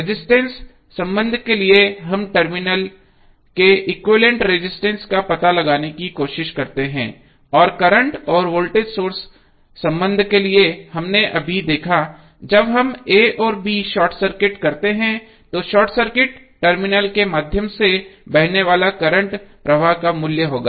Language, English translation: Hindi, So, what we got we got the voltage relationship as well as resistance relationship for resistance relationship we try to find out the equivalent resistance across the terminals and for the current and voltage source relationship we just saw, when we short circuit a and b what would be the value of the current flowing through the short circuited terminal